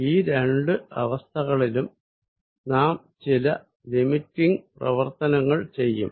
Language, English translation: Malayalam, In both the cases, we will be doing some limiting processes